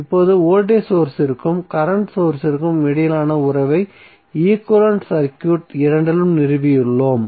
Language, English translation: Tamil, So now, we have stabilized the relationship between voltage source and current source in both of the equivalent circuit